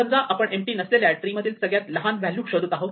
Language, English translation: Marathi, Let us assume that we are looking for the minimum value in a non empty tree